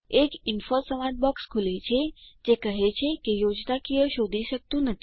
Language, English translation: Gujarati, An info dialog box will appear which says that it cannot find the schematic